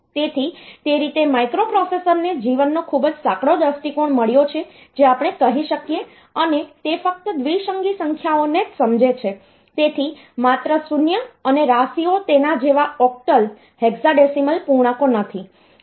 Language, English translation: Gujarati, So, that way the microprocessor it has got a very narrow view of life we can say and it only understands binary numbers, so only zeros and ones not the octal hexadecimal integers like that